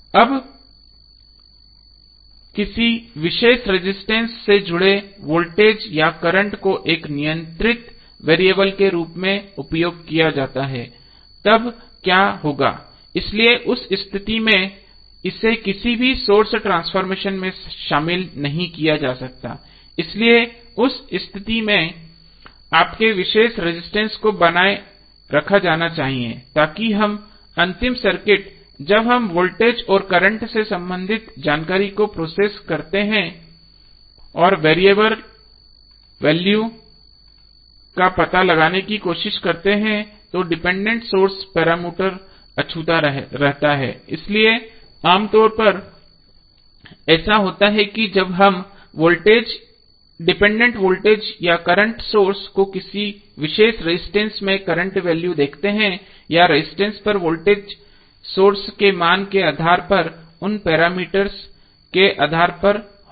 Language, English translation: Hindi, Now, voltage or current associated with particular resistor is used as a controlling variable then what will happen, so in that case it should not be included in any source transformation so, in that case your original resistor must be retain so that at the final circuit when we process the information related to voltage and current and try to find out the variable value, the dependent source parameter is untouched so, generally what happens that when we see the dependent voltage or current sources the current value across a particular resistance or voltage across the resistance would be depending upon the source value would be depending upon those parameters